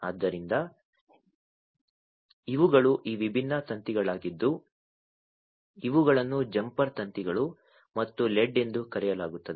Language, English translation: Kannada, So, these were these different wires these are known as the jumper wires and the led